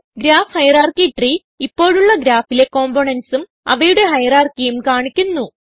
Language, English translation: Malayalam, Graph hierarchy tree displays the current graph components and their hierarchy